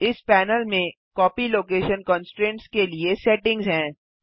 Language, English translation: Hindi, This panel contains settings for the Copy location constraint